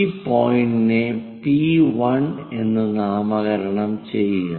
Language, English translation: Malayalam, Locate that point as P1